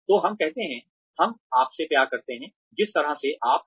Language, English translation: Hindi, so, we say, we love you, the way you are